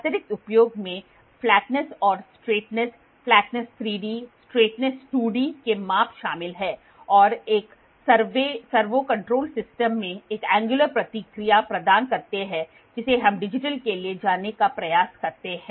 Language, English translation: Hindi, Additional use of use includes measurements of flatness and straightness, flatness 3D, straightness 2D and provide an angular feedback in a servo controlled system we try to go for digital